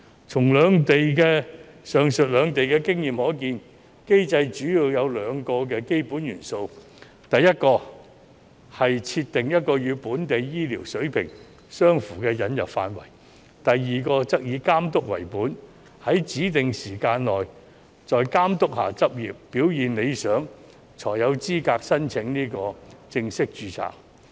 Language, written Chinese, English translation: Cantonese, 從上述兩地的經驗可見，機制主要有兩個基本元素：第一是設定一個與本地醫療水平相符的引入範圍；第二則以監督為本，在指定時間內須在監督下執業，表現理想才有資格申請正式註冊。, As can be observed from the experience in the two places the mechanism consists of two basic elements first setting a scope of admission comparable to the local healthcare level; and second imposing supervision - based mechanism that requires satisfactory performance in practice under supervision for a specified period of time in order to be eligible for full registration